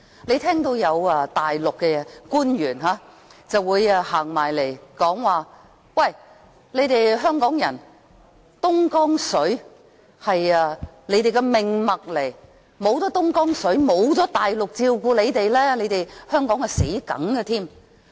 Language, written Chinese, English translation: Cantonese, 你聽到有大陸官員說，東江水是香港人的命脈，沒有東江水，沒有大陸照顧香港人，香港死路一條。, You may have heard Mainland officials say that Dongjiang water is the lifeline of Hong Kong people and should there be no Dongjiang water with no Mainland to take care of Hong Kong people Hong Kong is just a dead end